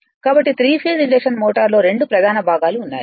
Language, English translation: Telugu, So, the 3 phase induction motor has 2 main parts